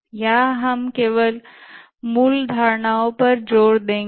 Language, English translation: Hindi, Here we'll emphasize only on the basic concepts